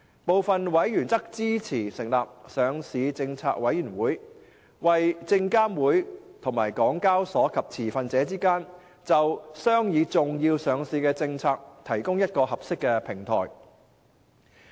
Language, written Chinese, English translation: Cantonese, 部分委員則支持成立上市政策委員會，為證監會、港交所及持份者之間就商議重要上市政策，提供一個合適的平台。, Some members were supportive of the proposed Listing Policy Committee to provide a suitable platform for SFC HKEX and the stakeholders to discuss important listing policies and issues